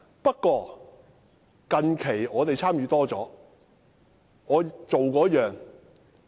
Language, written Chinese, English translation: Cantonese, 不過，近期我們較多參與。, We however have recently participated in filibustering more frequently